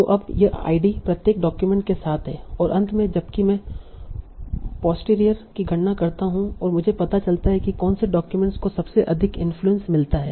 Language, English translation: Hindi, So now this ID is there with each document and finally when I compute the posterity, I find out which documents get the highest influence